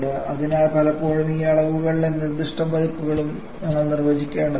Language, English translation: Malayalam, So quite often we may have to define specific versions of these quantities